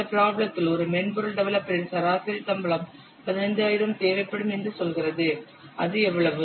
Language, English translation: Tamil, Assume that the average salary of a software developer is 15,000 per month